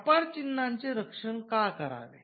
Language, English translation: Marathi, Now, why should we protect trademarks